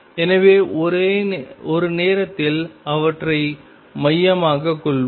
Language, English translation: Tamil, So, let us focus them on at a time